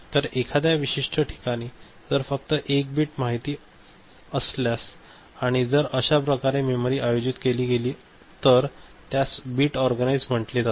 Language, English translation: Marathi, So, in a particular location, address location if only one bit information is there; if that is the way memory is organized then it is called bit organized